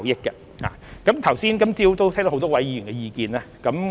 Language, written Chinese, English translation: Cantonese, 今早都聽到很多位議員的意見。, We have heard the views of many Members this morning